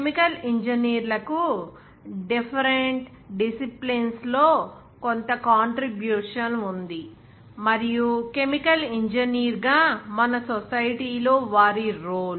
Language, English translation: Telugu, And also some contribution of chemical engineers in different disciplines and their role in our society as a chemical engineer